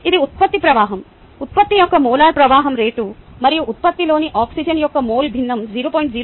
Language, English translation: Telugu, this is the product flow, the molar flow rate of product and the mole fraction of oxygen in the product has to be point naught five